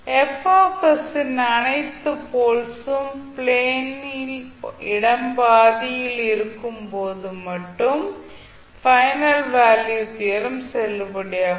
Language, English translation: Tamil, The final value theorem will be valid only when all polls of F s are located in the left half of s plane